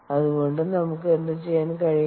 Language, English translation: Malayalam, so what can we do